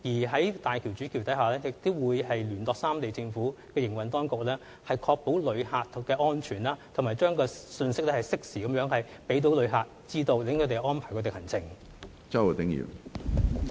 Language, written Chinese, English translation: Cantonese, 在大橋主橋下，亦會有人員聯絡三地的政府，以確保旅客安全，並且適時向旅客發放信息，好讓他們安排行程。, Under the main bridge there will also be duty officers to maintain contacts with the Governments of the three places so as to ensure traveller safety and disseminate timely messages to travellers to make travel arrangements